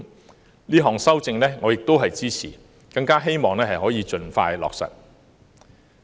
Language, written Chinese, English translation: Cantonese, 我亦支持這項修正案，希望可盡快落實。, I also support this amendment and hope that it will be implemented as soon as possible